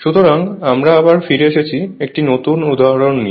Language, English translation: Bengali, So, we are back again so, this is another example right